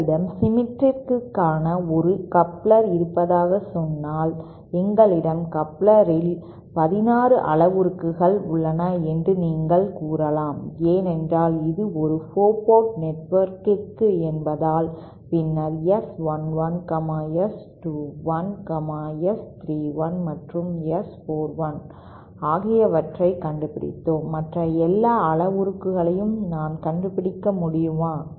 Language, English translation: Tamil, Say you have a coupler which is symmetric, so you might say that we have 16 parameters in a coupler because it is a 4 port network and we found out S11, S 21, S 31 and S 41, then how come I can find out all the other parameters